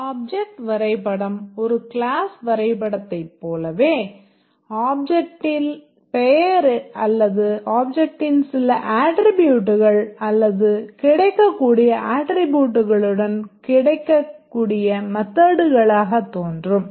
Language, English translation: Tamil, The object diagram just like a class diagram they can either appear with the name of the object or some attributes of the object or the methods that are available attributes